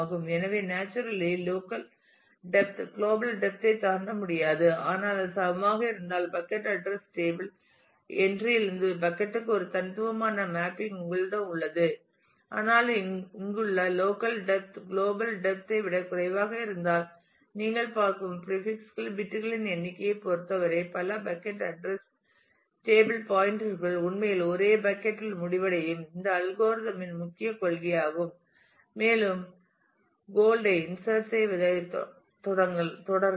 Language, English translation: Tamil, So, naturally local depth cannot exceed the global depth, but if it is equal then you have a unique mapping from the bucket address table entry to the bucket, but if the local depth as in here is less than the global depth; in terms of the number of prefix bits you are looking at then multiple bucket address table pointers actually end up in the same bucket and that is the main principle of this algorithm we can just continue further inserting gold and said into this